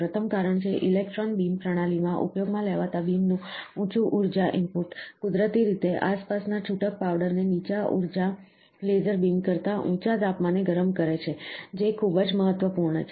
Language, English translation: Gujarati, The first is, the higher energy input of the beam used in electron beam system naturally heats the surrounding loose powder to a higher temperature than the lower energy laser beams, very important